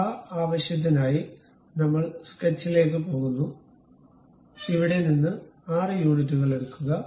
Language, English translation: Malayalam, So, for that purpose we go to sketch, pick hexagon 6 units from here draw it